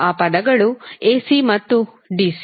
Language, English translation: Kannada, Those words were AC and DC